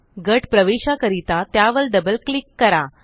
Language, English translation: Marathi, Double click on it in order to enter the group